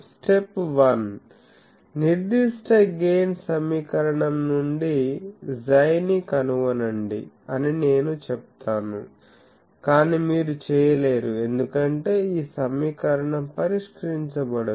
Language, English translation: Telugu, Step 1 I will say that from specified gain find x from the equation, but you cannot do because this equation you cannot solve